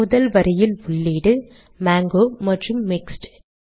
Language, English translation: Tamil, In the first line, the entries are mango and mixed